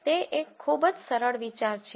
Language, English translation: Gujarati, It is a very simple idea